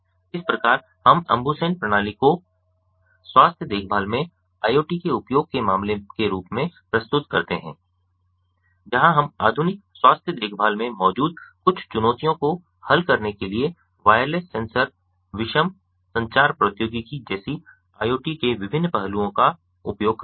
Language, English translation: Hindi, thus we present the ambusen system as use case of iot in healthcare, where we use the different aspects of a internet of things, such as wireless sensors, heterogeneous communication technologies, to solve some of the challenges present in modern healthcare